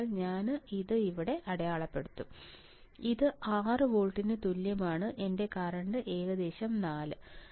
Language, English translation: Malayalam, So, I will mark it here, which is equals to 6 volts my current is about 4 right 4 or yeah its 4